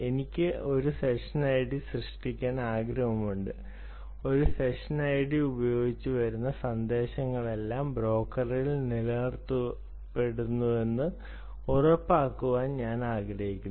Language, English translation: Malayalam, you say that i want to create a session and i want to ensure that whatever messages that come using this session actually are retained on the broker